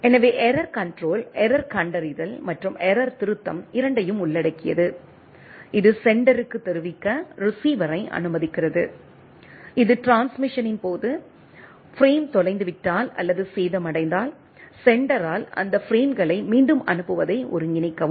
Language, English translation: Tamil, So, error control includes both error detection and error correction right, it allows receiver to inform the sender, if the frame is lost or damaged during the transmission and coordinate the retransmission of those frames by sender right